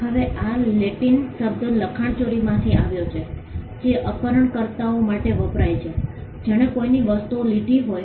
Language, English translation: Gujarati, Now this comes from Latin word plagiaries, which stands for kidnappers somebody who took somebody else’s things